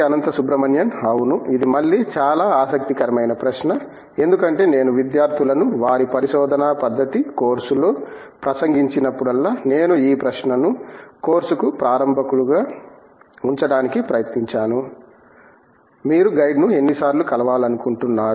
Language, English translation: Telugu, Yeah, that’s again a very interesting question because whenever I have addressed the students in their research methodology course, I have tried to put this question as a starter for the course, how many times do you think you should meet the guide